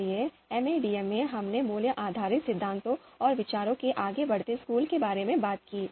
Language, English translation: Hindi, So there we talked about in MADM we talked about value based theories and outranking school of thoughts